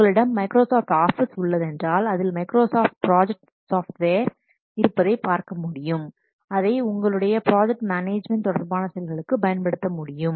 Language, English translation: Tamil, So, if you are having Microsoft Office then you can see in your computer that this Microsoft project software is there which you can use for project management related activities